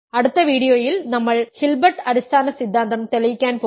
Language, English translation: Malayalam, In the next video, we are going to prove the Hilbert basis theorem